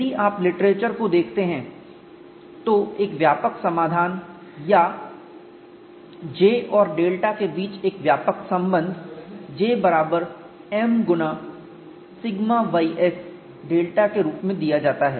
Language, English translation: Hindi, If you look at the literature a general solution or the general relation between J and delta is given as J equal to M times sigma ys delta and for this particular case you have M equal to 1